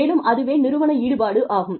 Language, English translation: Tamil, And, that is, and the organizational involvement